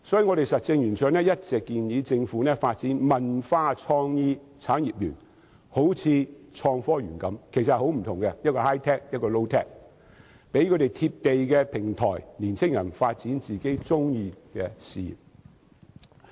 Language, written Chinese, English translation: Cantonese, 因此，實政圓桌一直建議政府發展"文化創意產業園"，好像創新及科技園般，但其實大為不同，一個是 high-tech， 一個是 low-tech， 為年青人提供"貼地"的平台，發展自己喜歡的事業。, For this reason Roundtable has all along proposed that the Government develop a cultural and creative industries park . It sounds like the Innovative and Technology Park but they are in fact vastly different . One is high - tech whereas the other one is low - tech providing young people with a down - to - earth platform to develop a career to their liking